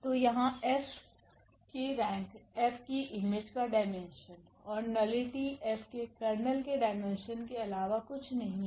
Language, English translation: Hindi, So, here the rank of F is the dimension of the image of F and nullity is nothing but the dimension of the kernel of F